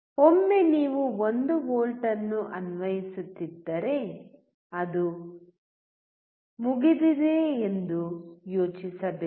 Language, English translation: Kannada, Do not just think that once you are applying 1 volt, it is done